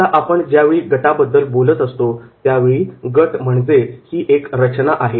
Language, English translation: Marathi, Now, whenever we are talking about the group, group means this is the structure this is the group